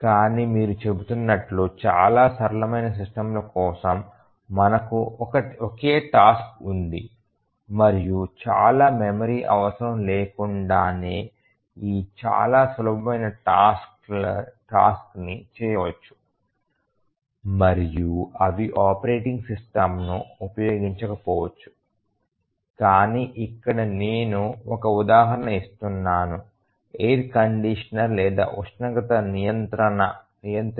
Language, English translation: Telugu, But as you are saying that very very simple systems we just have a task single task and very simple task without needing much memory etcetera, they might not use a operating system I just giving an example of a air conditioner or temperature controller